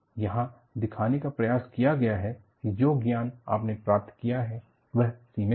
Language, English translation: Hindi, What is attempted to be shown here is the knowledge, you gained is limited